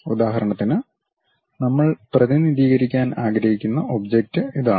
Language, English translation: Malayalam, For example, this is the object we would like to represent